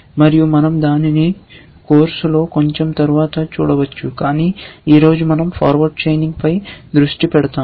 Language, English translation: Telugu, And we might just look at it a little bit later on in the course, but today we will focus on forward chaining essentially